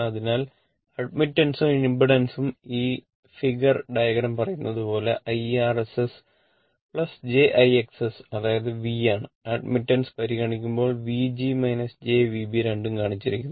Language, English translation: Malayalam, So, both admittance and both impedance this figure diagram when you call IR S plus Ithis thing jIX S right that is V and when you when you consider admittance it will V g minus jV b both have been shown right